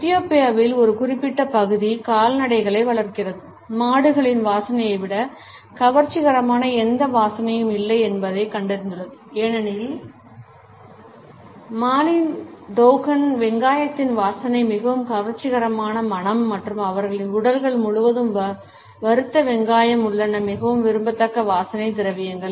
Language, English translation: Tamil, A particular section in Ethiopia, which raises cattles, finds that there is no scent which is more attractive than the odor of cows, for the Dogon of Mali the scent of onion is the most attractive fragrance and there are fried onions all over their bodies is a highly desirable perfumes